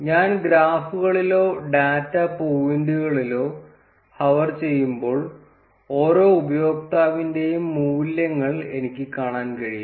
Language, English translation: Malayalam, When I hover on the graphs or the data points, I can see the values for each of the users